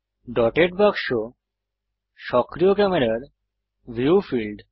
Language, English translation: Bengali, The dotted box is the field of view of the active camera